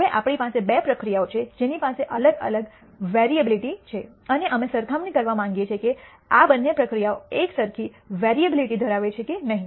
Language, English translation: Gujarati, Now, we have two processes which have different variability and we want to compare whether these two process have the same variability or not